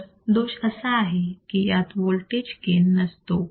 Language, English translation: Marathi, So, the drawback is that that it has no voltage gain